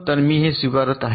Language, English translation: Marathi, so i am accepting this